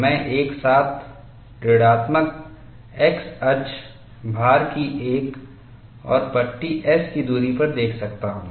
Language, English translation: Hindi, I can also look at simultaneously on the negative x axis at distance s, another strip of load